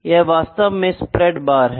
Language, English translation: Hindi, So, this is a kind of a spread bar, ok